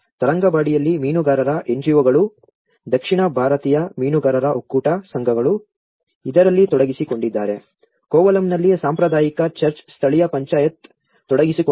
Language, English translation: Kannada, In Tharangambadi the fishermen NGOs, South Indian fishermen federation societies they were involved in it, in Kovalam the traditional church the local Panchayat is involved